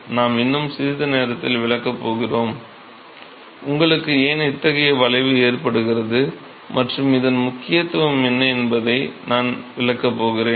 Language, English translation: Tamil, So, we are going to explain in a short while, I am going to explain what the why you get such a curve and what is the significance of this